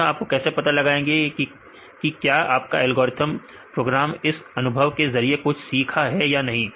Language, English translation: Hindi, So, you how do you know whether this algorithm your program learn from this experience